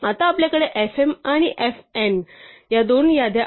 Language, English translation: Marathi, Now, at this point we have two list fm and fn